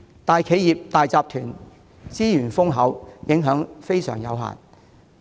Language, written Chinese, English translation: Cantonese, 大企業和大集團資源豐厚，所受的影響有限。, For big companies and corporate groups with abundant resources the effects would be limited